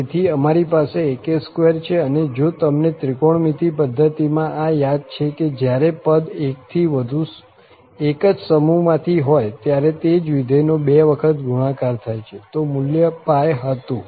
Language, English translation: Gujarati, So, we have ak square and then you remember this in trigonometric system when the candidate is from the same family, the same function is multiply 2 times then the value was pi